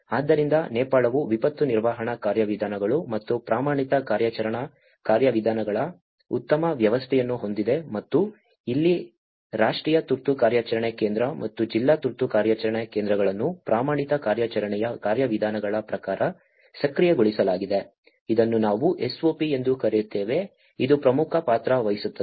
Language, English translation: Kannada, So, the Nepal has a very good system of the disaster management procedures and the standard operating procedures and this is where the National Emergency Operation Center and the District Emergency Operation Centers have been activated as per the standard operation procedures, which is we call SOP which plays an important role